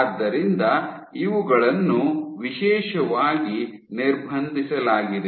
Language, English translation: Kannada, So, these are specially restricted